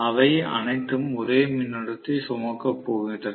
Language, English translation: Tamil, All of them are going to carry the same current